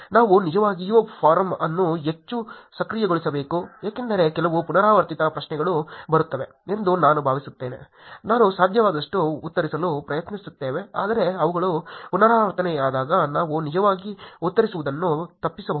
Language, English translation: Kannada, We should actually make the forum more active because I think there are some very repeated questions that comes up, we're tying to answer as such as possible but when they are very repeated we can avoid actually answering also